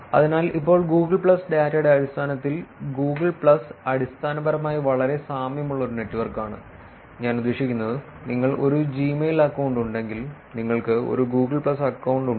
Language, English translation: Malayalam, So, now in terms of Google plus data, Google plus is basically a network that is very similar to, I mean, if you have a Gmail account, you essentially have a Google plus account